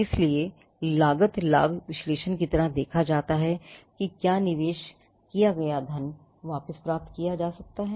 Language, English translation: Hindi, So, it is kind of a cost benefit analysis to see whether the money that is invested could be recouped